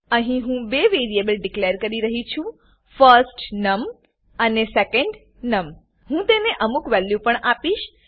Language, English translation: Gujarati, Here I am declaring two variables firstNum and secondNum and I am assigning some values to them